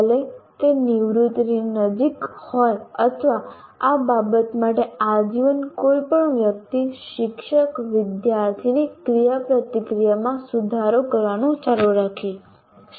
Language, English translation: Gujarati, Even if he is close to retirement or any person for that matter, lifelong can continue to improve with regard to teacher student interaction